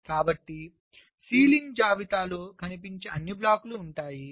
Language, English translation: Telugu, so that ceiling, that list, will contain all those blocks which are visible